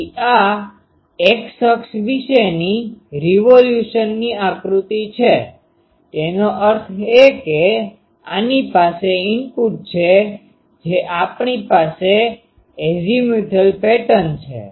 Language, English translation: Gujarati, So, this is figure of revolution about x axis; that means, this has input you see our azimuthal pattern